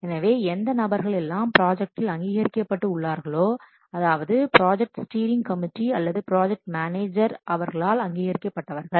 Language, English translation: Tamil, So, those persons which have been authorized might be a project what steering committee or the project manager